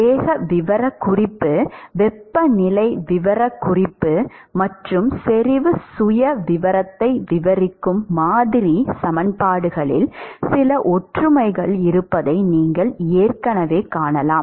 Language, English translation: Tamil, You can already see that there is some similarity in the model equations that describes the velocity profile, temperature profile and concentration profile